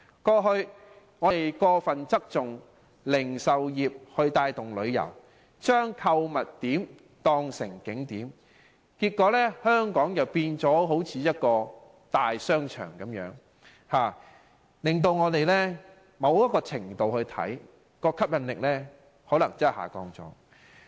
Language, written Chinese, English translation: Cantonese, 過去，我們過分側重讓零售業帶動旅遊，將購物點當成景點，結果香港變成一個大型商場。某程度上，我們的吸引力下降了。, In the past we relied too heavily on boosting tourism through retail and turned shopping spots into tourist attractions; consequently Hong Kong has gradually turned into a huge shopping mall and to a certain extent lost much of its attraction